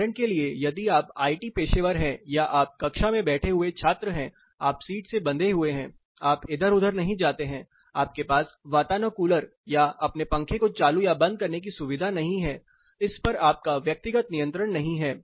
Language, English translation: Hindi, For example, if you are a IT professional, you are a student sitting in a classroom, you are bound to a seat, you do not keep moving around, you do not have a flexibility to switch on switch off your air conditioner or your fan, it is not your personalized control